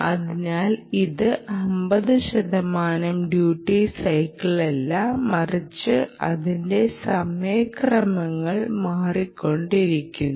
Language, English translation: Malayalam, its not with the fifty percent duty cycle, but its indeed with this kind of on times which are changing